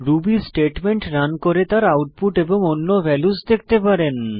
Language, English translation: Bengali, You can run Ruby statements and examine the output and return values